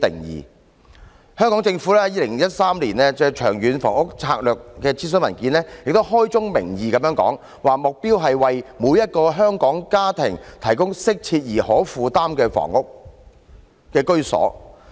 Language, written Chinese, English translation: Cantonese, 而香港政府亦在2013年《長遠房屋策略》諮詢文件中開宗明義表示，"目標是為每一個香港家庭提供適切而可負擔的居所"。, In 2013 the Hong Kong Government also stated at the outset in the consultation document on the Long Term Housing Strategy Our goal is to provide adequate and affordable housing for each and every Hong Kong family